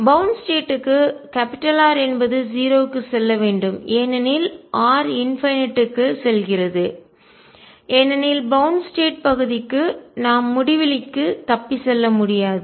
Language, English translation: Tamil, For bound state R should go to 0 as r goes to infinity because for bound states part we cannot escape to infinity